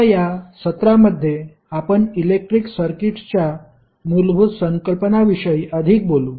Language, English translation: Marathi, Now, in this session we will talk more about the basic concepts of electric circuits